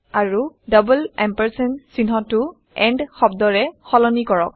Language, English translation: Assamese, And replace the double ampersand symbol with the word and